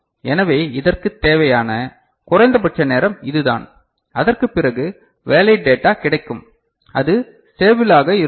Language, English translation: Tamil, So, this is the minimum time required for this, after this valid data is available it needs to be remain stable